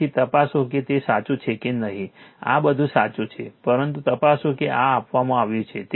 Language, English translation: Gujarati, So, you check whether it is correct or not this is everything is correct, but you check this is given to you right